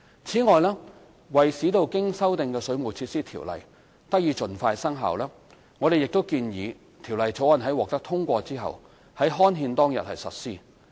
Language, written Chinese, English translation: Cantonese, 此外，為使經修訂的《條例》得以盡快生效，我們亦建議《條例草案》在獲得通過後，於刊憲當日實施。, Furthermore in order to enable the amended Ordinance to come into effect as soon as possible we also propose that the Bill comes into operation upon gazettal